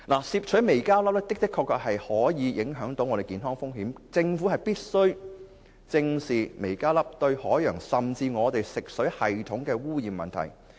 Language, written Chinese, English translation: Cantonese, 攝取微膠粒的確會有健康風險，政府必須正視微膠粒對海洋和食水系統的污染問題。, Absorbing microplastics indeed poses health risks so the Government should seriously handle microplastic pollution in the sea and the fresh water system